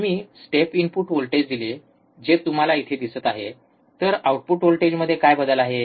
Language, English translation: Marathi, So, if I apply step input voltage, which you see here, what is the change in the output voltage